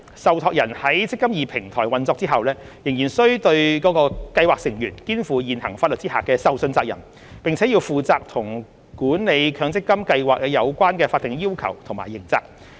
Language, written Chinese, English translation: Cantonese, 受託人在"積金易"平台運作後仍須對其計劃成員肩負現行法律下的受信責任，並負責與管理強積金計劃有關的法定要求和刑責。, Trustees will still owe fiduciary duties to their scheme members under existing legislation and remain responsible for the statutory requirements and criminal liabilities with respect to the administration of MPF schemes upon the implementation of the eMPF Platform